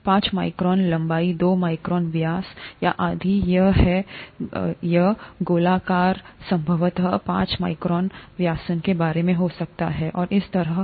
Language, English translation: Hindi, Five micron length, two micron diameter, or if it is spherical it could probably be about five micron diameter, and so on